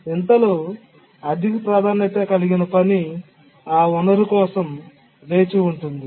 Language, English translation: Telugu, Now, in the meanwhile, a high priority task is waiting for that resource